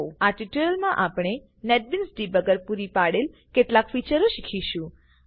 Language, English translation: Gujarati, In this tutorial we will learn some of the features that the Netbeans Debugger provides